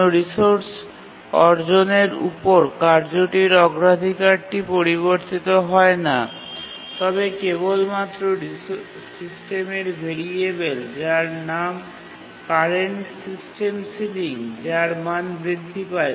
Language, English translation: Bengali, The task's priority upon acquiring a resource does not change, but only the variable, a system variable, his name is current system sealing, the value of that increases